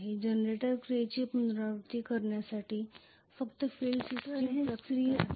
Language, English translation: Marathi, So just to repeat the generator action works as follows the field system creates flux